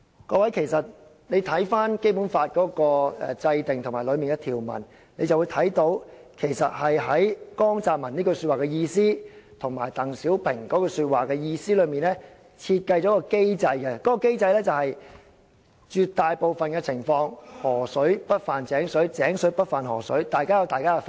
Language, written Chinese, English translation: Cantonese, "各位，從《基本法》的制定及當中的條文，便會看到其實在江澤民和鄧小平的說話的意思中，設計了一個機制，就是在絕大部分的情況下，"河水不犯井水，井水不犯河水"，大家有各自的法制。, Honourable Members judging from the enactment of the Basic Law and its provisions we can note from the remarks made by JIANG Zemin and DENG Xiaoping the design of a mechanism . Under this mechanism in most circumstances river water does not intrude into well water and well water does not intrude into river water . In other words the two places have separate legal systems